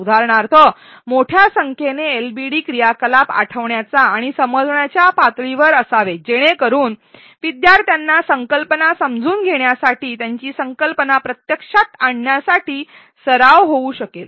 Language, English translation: Marathi, For example; a large number of LbD activities should be at recall and understand levels so that learners can get a lot of practice in just applying the concepts in testing their understanding of the concept